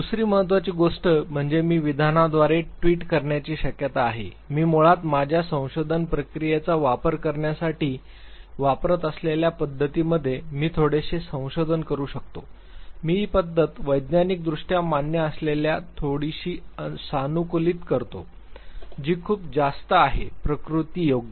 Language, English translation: Marathi, Second important thing is that is there a possibility of tweeting with method can I go for little revision in the method that I am going to use to basically suite my research process, I customize the method a bit which is scientifically acceptable, which is very much replicable